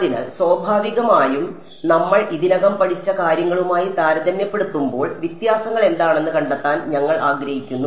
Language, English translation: Malayalam, So, naturally we want to find out what are the differences compared to what we already learnt ok